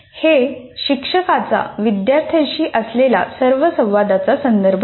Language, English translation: Marathi, It refers to all the interactions teachers have with the students